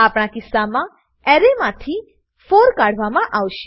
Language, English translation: Gujarati, In our case, 4 will be removed from the Array